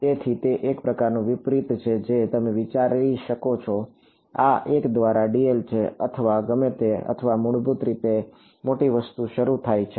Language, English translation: Gujarati, So, it sort of inverse you can think of this is 1 by dl or whatever or basically start from a large thing right